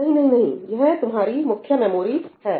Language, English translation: Hindi, No, no, no, no, no, this is your main memory